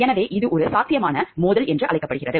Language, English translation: Tamil, So, this is called a potential conflict of interest